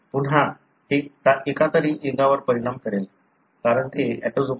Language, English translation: Marathi, Again it would affect either sex, because it is autosomal